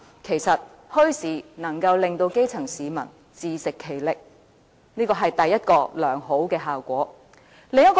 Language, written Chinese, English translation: Cantonese, 其實，墟市能夠令基層市民自食其力，這是第一個良好效果。, Bazaars can enable grass - root people to stand on their own feet . This is the first desirable result